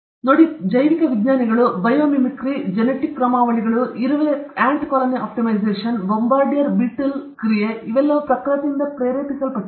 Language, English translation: Kannada, Nature, see, this called biomimitics, biomimicry, the genetic algorithms, ant colony optimization, bombardier beetle action, all these are inspired from nature